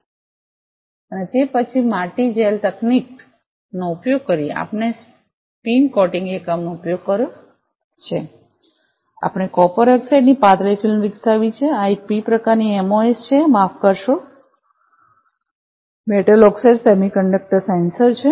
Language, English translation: Gujarati, And then using soil gel technique we have using a spin coating unit we have developed a thin film of copper oxide, this is a p type MOS, sorry, metal oxide semiconductor sensor